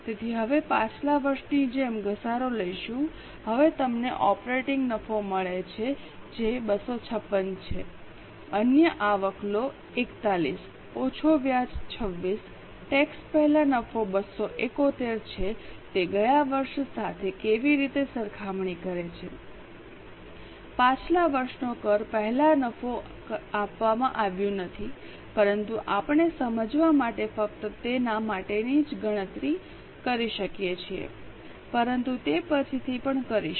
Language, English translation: Gujarati, Now you get operating profit which is 256 take other income 41 less interest 26 profit before tax is 271 how does it compare with last year okay last year's profit before tax is not given but we can just calculate it for our own sake to understand but anyway we'll do it later on